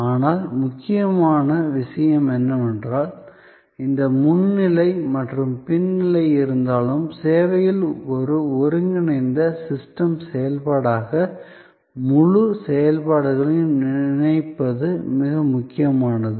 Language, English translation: Tamil, But, important point is, that even though there is this front stage and the back stage, it is in service very important to think of the whole set of activities as one integrated system activity